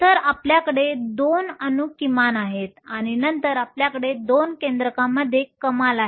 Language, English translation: Marathi, So, you have a minimum between the 2 atoms and then you have a maximum at the 2 nucleus